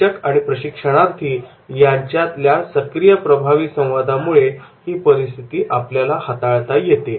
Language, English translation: Marathi, There should be a continuous dialogue, interactive dialogue between the trainer and trainee